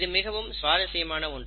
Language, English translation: Tamil, So, this is something very interesting